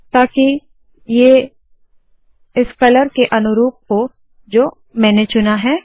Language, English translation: Hindi, So that this is consistent with this color that I have chosen